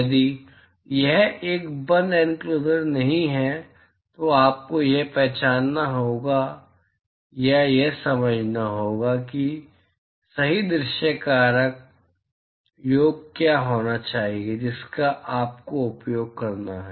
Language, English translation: Hindi, If it is not a closed enclosure then you will have to identify or intuit has to what should be the correct view factor summation that you have to use